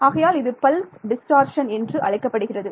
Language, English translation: Tamil, So, this is what is called pulse distortion